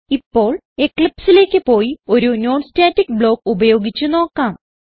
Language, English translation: Malayalam, Now, let us switch to Eclipse and try to use a non static block